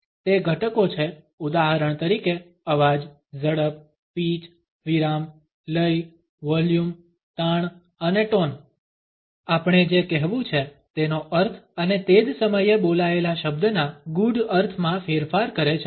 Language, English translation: Gujarati, It is elements for example voice, speed, pitch, pause, rhythm, volume, stress and tone modify the meanings of what we have to say and at the same time at nuances to the spoken word